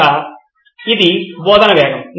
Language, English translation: Telugu, So it’s pace of teaching